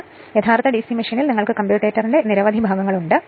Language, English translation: Malayalam, And but in the in the actual DC machine you have you have several segment of the commutators